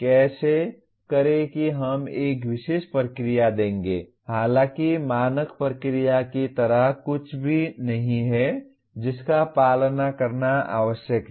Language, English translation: Hindi, How to do that we will give a particular procedure though there is nothing like a standard procedure that is required to be followed